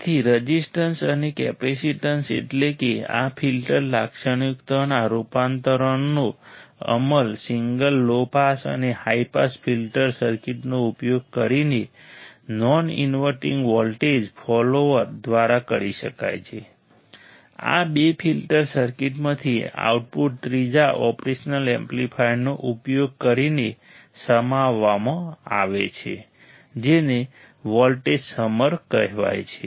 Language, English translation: Gujarati, So, resistance and capacitance of course, transformation of this filter characteristics can be implemented a single using a single low pass and high pass filter circuit by non inverting voltage follower, the output from these two filter circuit is summed using a third operational amplifier called a voltage summer, which you can see here right